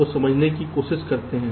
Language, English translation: Hindi, so lets try to understand